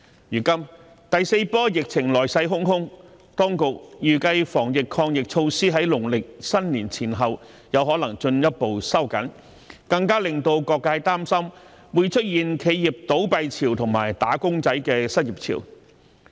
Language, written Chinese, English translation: Cantonese, 如今第四波疫情來勢洶洶，當局預計在農曆新年前後可能進一步收緊防疫抗疫措施，更加令到各界擔心會出現企業倒閉潮及"打工仔"的失業潮。, Now that the fourth wave of the epidemic is coming inexorably the authorities anticipate that the anti - epidemic measures may be further tightened around the Lunar New Year causing even greater concern among various sectors about extensive business closures and surges in unemployment of wage earners